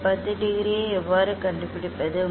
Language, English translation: Tamil, how we find out this 10 degree